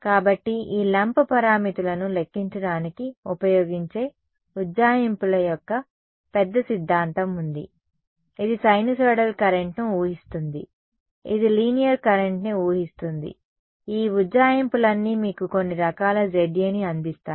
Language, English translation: Telugu, So, there is a large theory of approximations which are used to calculate this lump parameters, it will assume sinusoidal current, it will assume linear current all of these approximations are there which will give you some form of Za ok